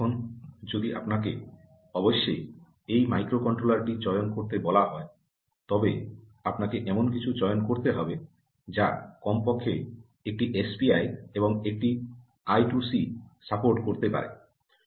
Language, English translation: Bengali, now, if you are asked to choose this microcontroller, you obviously have to choose something that can support at least one s p i and one i two c